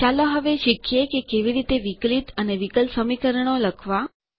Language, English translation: Gujarati, Let us now learn how to write Derivatives and differential equations